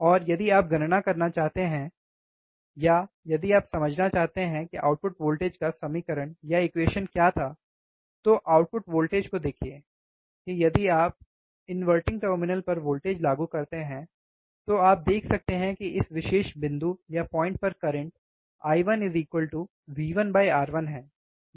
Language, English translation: Hindi, Output voltage, then we can see here, right that if you apply voltage at the inverting terminal, you can see that I the current at this particular point I 1 would be V 1 by R 1, right